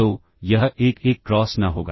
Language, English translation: Hindi, So, it will be a 1 cross n